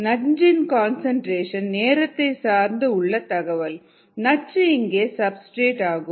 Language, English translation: Tamil, the data on toxin concentration versus time, the toxin is the substrate here